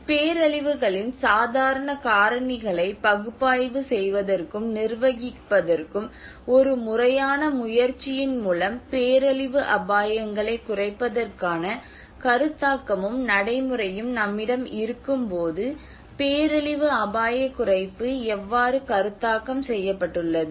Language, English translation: Tamil, Disaster risk reduction and how it has been conceptualized when we have the concept and practice of reducing disaster risks through a systematic efforts to analyse and manage the casual factors of disasters